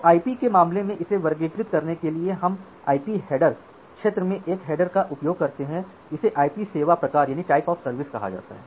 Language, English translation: Hindi, So, to classify it in case of IP we use a header in the IP header field it is called the IP type of service